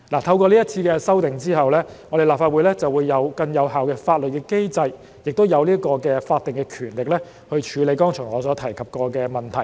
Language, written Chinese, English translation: Cantonese, 透過這次修訂，立法會將具有更有效的法律機制及法定權力，處理我剛才所提及的問題。, Through this amendment the Legislative Council will have a more effective legal mechanism and statutory power to deal with the problems I have just mentioned